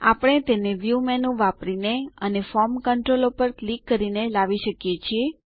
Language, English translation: Gujarati, We can bring it up by using the View menu and clicking on the Form Controls